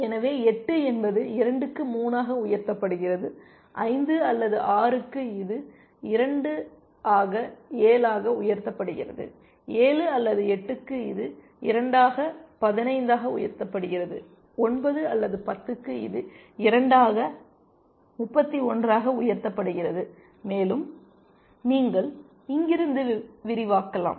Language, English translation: Tamil, So, 8 is equal to 2 raised to 3, for 5 or 6 it is 2 raised to 7, for 7 or 8 it is 2 raised to 15, for 9 or 10 it is 2 raised to 31 and you can extrapolate from here